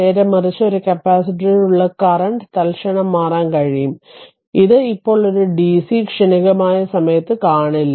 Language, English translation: Malayalam, Conversely, the current through a capacitor can change instantaneously that will see in the dc transient time right not now